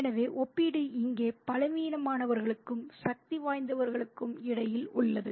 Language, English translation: Tamil, So, the comparison is between the weak and the powerful here